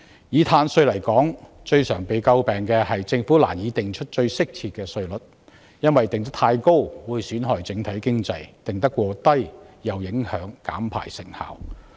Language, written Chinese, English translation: Cantonese, 以碳稅來說，最常為人詬病的是政府難以釐定最適切的稅率，因為稅率過高會損害整體經濟，過低又會影響減排成效。, In the case of carbon tax the most common argument is that the governments find it difficult to determine the most suitable tax rates . While an excessively high tax rate will jeopardize the overall economy an excessively low tax rate will adversely affect emission reduction